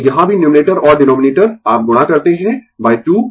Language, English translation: Hindi, So, here also numerator and denominator you multiply by 2